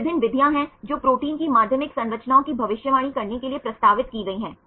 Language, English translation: Hindi, So, there are various methods which have been proposed for predicting the secondary structures of proteins